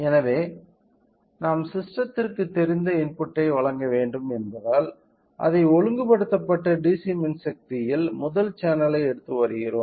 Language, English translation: Tamil, So, since we have to provide a known input to the system we are taking a one the first channel in that regulated DC power supply